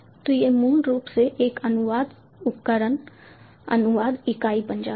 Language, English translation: Hindi, so so this one basically becomes a translation device translation unit